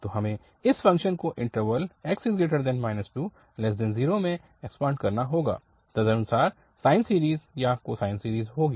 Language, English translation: Hindi, So we can do, so because we have to just extend this function in the interval minus 2 to 0 accordingly to have sine series or cosine series